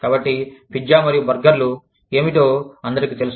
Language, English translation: Telugu, So, everybody knows, what pizza and burgers are